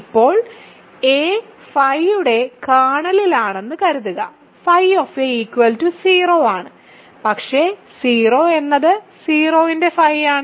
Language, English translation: Malayalam, Now, suppose phi, a is in the kernel of phi; then phi of a is 0, but 0 is also phi of 0 as I noted there